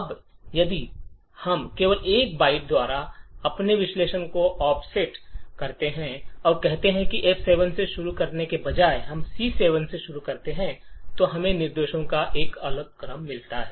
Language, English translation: Hindi, Now if we just offset our analysis by 1 byte and state that instead of starting from F7 we start with C7 then we get a different sequence of instructions